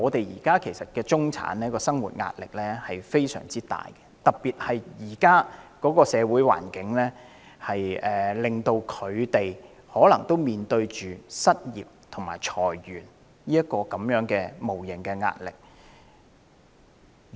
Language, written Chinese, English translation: Cantonese, 現時的中產人士生活壓力極大，特別在現今社會環境下，他們也可能面對失業及裁員的無形壓力。, People in the middle class are now living under immense pressure . Particularly under the social environment nowadays they may also have to live under the intangible pressures of unemployment and layoffs